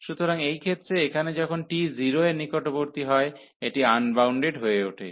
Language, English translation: Bengali, So, in this case here the when t is approaching to 0, so this is becoming unbounded